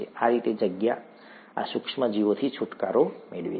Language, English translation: Gujarati, That is how the space is gotten rid of these micro organisms